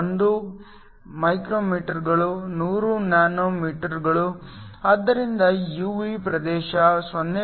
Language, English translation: Kannada, 1 micrometers is 100 nanometers so that is the UV region, 0